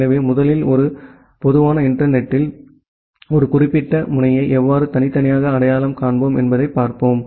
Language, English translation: Tamil, So, first we will look into that at a typical internet how we individually identify a particular node